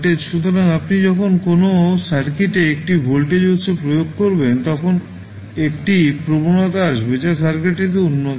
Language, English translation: Bengali, So, when you apply a voltage source to a circuit there would be a sudden impulse which would be generated in the circuit